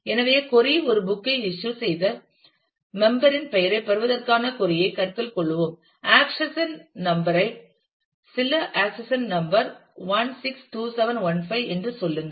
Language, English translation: Tamil, So, let us consider a query that the query is to get the name of a member of the member who has issued a book say having accession number some accession number 162715